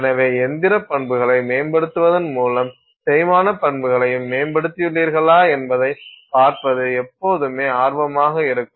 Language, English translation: Tamil, So, it is always of interest to see if by improving the mechanical properties have you also improved the wear property